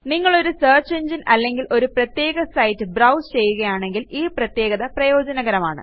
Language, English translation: Malayalam, This function is useful when you are browsing from a particular site or a search engine